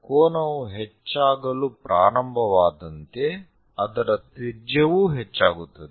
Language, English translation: Kannada, They begin as angle increases the radius also increases